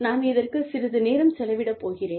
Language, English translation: Tamil, And, i will spend, little bit of time, on this